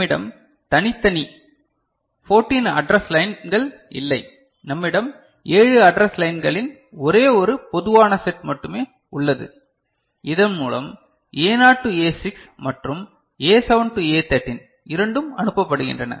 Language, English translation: Tamil, We do not have separate 14 address pins, we have only one common set of 7 address pins by which both A naught to A6 and A7 to A13 are sent